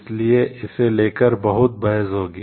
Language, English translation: Hindi, So, there will be lot of debates about it